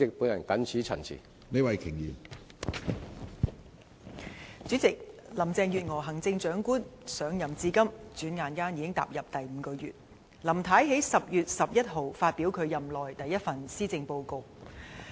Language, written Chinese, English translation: Cantonese, 主席，行政長官林鄭月娥上任至今轉眼已踏入第五個月，她在10月11日發表其任內第一份施政報告。, President it has been five months since Chief Executive Carrie LAM assumed office and she delivered her first Policy Address on 11 October